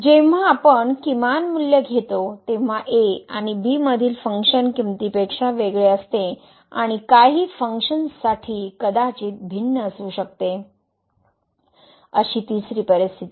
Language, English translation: Marathi, The second case when we take the minimum value is different than the function value at and and the third situation that for some functions both maybe different